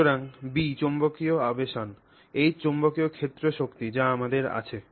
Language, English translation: Bengali, So, B is magnetic induction, H is the applied field strength that you have